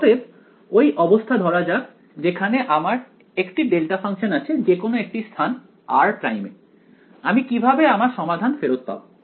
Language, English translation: Bengali, So, let us consider the case where I have my delta function at any location r prime, how will I get back my solution now